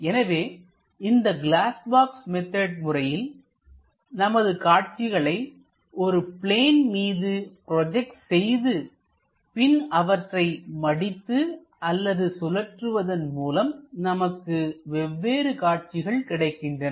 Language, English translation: Tamil, So, in glass box method, we construct these views, project it onto the planes, then fold them or perhaps rotate them so that different views, we will get